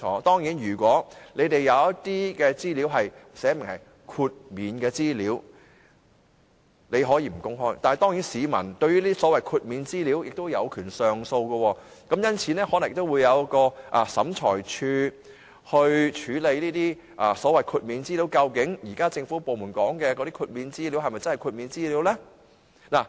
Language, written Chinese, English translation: Cantonese, 當然，如果政府部門有一些資料註明是豁免的資料，那便不用公開，但市民對這些所謂的豁免資料亦有權上訴，因此可能會交由審裁處來處理個案，究竟政府部門現時所說的豁免資料是否真的豁免資料？, Certainly if government departments have some information which is specified as exempted its disclosure will not be necessary . However the public are also entitled to appeal against those so called exempted information . The case will then be left to hands of tribunals to determine whether the information which the Government claimed to be exempted is really exempted